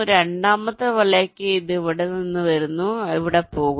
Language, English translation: Malayalam, for the second net, it is coming from here, it is going here